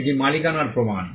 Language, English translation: Bengali, It is proof of ownership